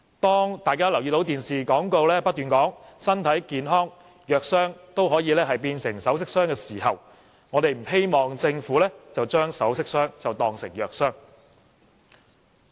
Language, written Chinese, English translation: Cantonese, 當大家看到電視廣告在不斷說"只要身體健康，藥箱都可以變成首飾箱"的時候，我們不希望政府把"首飾箱當成藥箱"。, There is a television advertisement promoting constantly that if we stay healthy medicine boxes can be turned into jewellery boxes . However we do not want the Government to turn jewellery boxes into medicine boxes